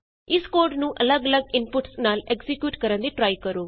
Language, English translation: Punjabi, Try executing this code with different set of inputs